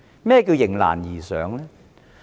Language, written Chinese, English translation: Cantonese, 何謂"迎難而上"呢？, What does it mean by rising to the challenges ahead?